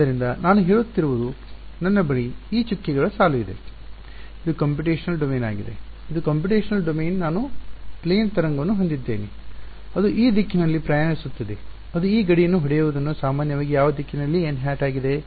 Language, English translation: Kannada, So, what I am saying is that I have this dotted line which is the computational domain this is the computational domain I have a plane wave that is traveling in this direction hitting the hitting the boundary normally which direction is n hat